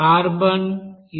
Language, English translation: Telugu, Carbon, this amount is 82